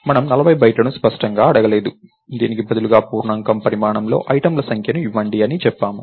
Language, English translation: Telugu, We didn't ask for 40 bytes explicitly, instead we said give me number of items into size of an integer